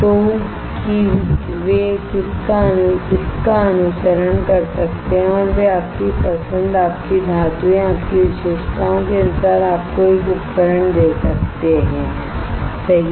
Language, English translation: Hindi, So, that they can follow it and they can give you a device according to your choice your characteristics your metals, right